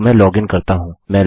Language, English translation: Hindi, So let me login